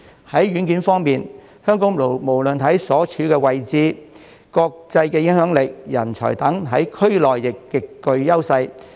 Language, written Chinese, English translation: Cantonese, 在軟件方面，香港無論在地理位置、國際影響力及人才等，在區內亦極具優勢。, As for soft infrastructure Hong Kong enjoys enormous advantages in the region in terms of geographical location international influence talents etc